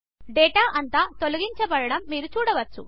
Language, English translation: Telugu, You see that the data gets deleted